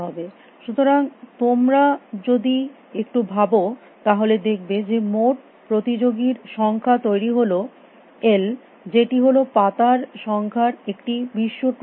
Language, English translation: Bengali, So, if you give some thought to that you will see that the total number of parties’ forms which is l which is a number of leaves i n a world tournament